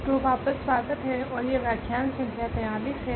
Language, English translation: Hindi, So, welcome back and this is lecture number 43